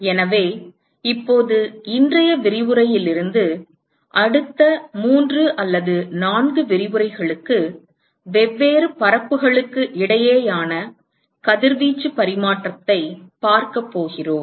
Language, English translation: Tamil, So, now, we are going to, from today’s lecture, for the next three or four lectures, we are going to look at radiation exchange between different surfaces